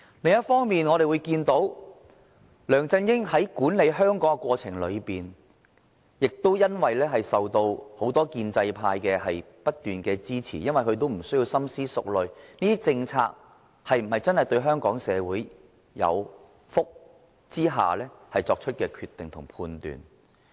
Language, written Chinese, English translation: Cantonese, 另一方面，我們看到梁振英在管理香港的過程裏，由於受到很多建制派的不斷支持，他無須深思熟慮政策是否真的造福香港社會的情況下作出的決定及判斷。, On the other hand as far as LEUNG Chun - yings governance of Hong Kong was concerned we can see that as he received continuous support from the establishment camp he cared not about whether or not his policies were well thought through or if they could really benefit Hong Kong when he was making some decisions or judgments